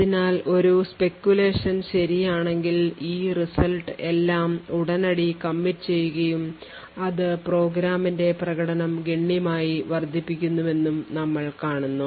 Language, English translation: Malayalam, So does we see that if there is a speculation and the speculation is correct then of all of these results can be immediately committed and the performance of the program would increase constantly